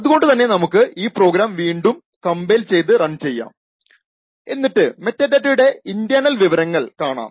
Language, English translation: Malayalam, So, let us compile and run this program again and we see the internal details of the metadata